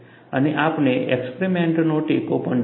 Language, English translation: Gujarati, And, we will also see a support from experiment